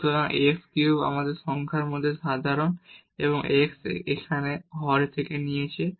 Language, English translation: Bengali, So, x cube we have taken common in the numerator and x here from the denominator